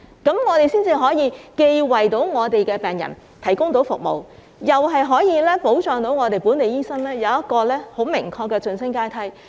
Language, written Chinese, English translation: Cantonese, 這樣做才可以既為病人提供服務，又保障本地醫生有一個很明確的晉升階梯。, This is the only way to ensure the provision of services to patients while protecting the definite promotion ladder of local doctors